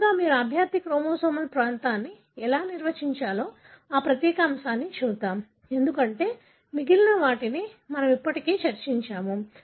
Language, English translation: Telugu, So, first let us look into this particular aspect that how do you define the candidate chromosomal region, because the rest of them we have already discussed